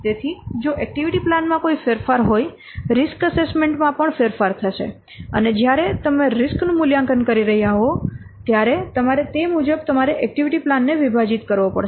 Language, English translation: Gujarati, So if there is a change in activity plan, there will be a change also in the risk assessment and when risk you are assessing the risk, so you accordingly you might have to divide the activity plan